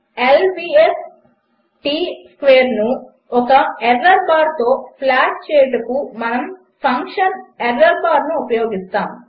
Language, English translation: Telugu, Now to plot L vs T square with an error bar we use the function errorbar()